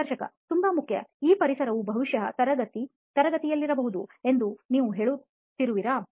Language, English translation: Kannada, So important, you are saying this environment would probably be in the class, in the classroom, right